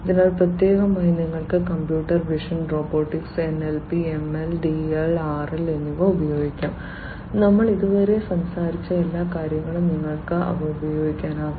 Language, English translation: Malayalam, So, for this specifically you could use computer vision, robotics, NLP, ML, DL, RL all of these things that we have talked about so far you could use them